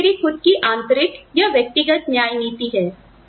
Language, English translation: Hindi, That is my own internal, individual equity